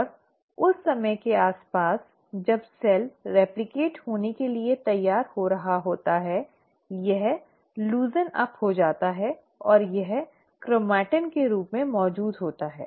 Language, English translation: Hindi, And around the time that the cell is getting ready to replicate, it loosens up and it exists as a chromatin